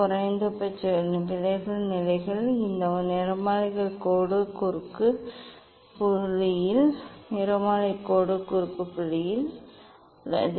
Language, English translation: Tamil, minimum deviation positions this spectral line is at the cross point, spectral line is at the cross point